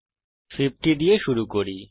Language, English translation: Bengali, So we start with 50